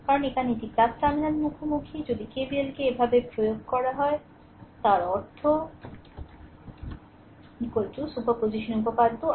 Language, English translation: Bengali, Because here it is plus terminal encountering plus if you apply KVL like this so; that means, i is equal to superposition theorem i 1 plus i 2 plus i 3